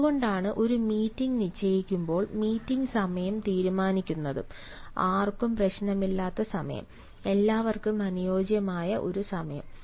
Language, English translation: Malayalam, that is why, when a meeting is fixed, the meeting, the time of the meeting is decided, a time which suits everyone, a time where nobody can have any problem